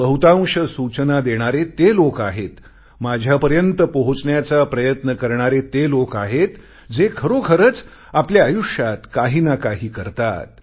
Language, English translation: Marathi, Most of those who give suggestions or try to reach to me are those who are really doing something in their lives